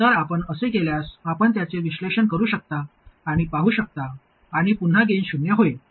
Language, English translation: Marathi, So if you do that, you can analyze it and see and the gain will again be 0